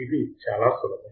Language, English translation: Telugu, It is very easy